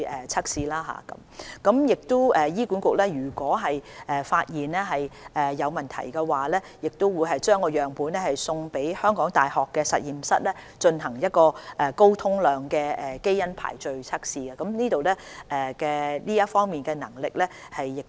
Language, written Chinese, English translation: Cantonese, 如果醫管局發現有問題，會把樣本送交港大的實驗室進行高通量基因排序測試，這方面一直有效地進行。, Certainly tests on influenza viruses will also be conducted . In case of any issues identified by HA specimens will be sent to the University of Hong Kongs laboratory for high - throughput gene sequencing tests which is an effective ongoing practice